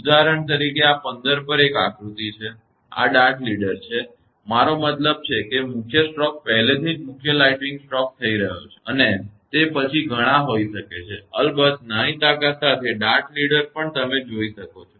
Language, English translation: Gujarati, For example, there is one diagram at this 15; this is the dart leader, I mean main stroke already main lighting stroke already has happened and after that there may be many; with a smaller strength of course, dart leader also you can see it